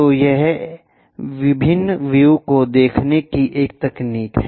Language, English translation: Hindi, So, it is a technique of showing different views